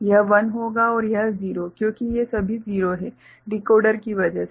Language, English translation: Hindi, This will be 1 and this is 0 because all these are 0 from the because of the decoder